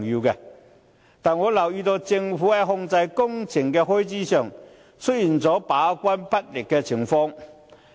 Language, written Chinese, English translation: Cantonese, 但是，我留意到政府在控制工程開支方面，出現把關不力的情況。, However I note that the Government appears to have failed to perform its gate - keeping role properly in controlling construction costs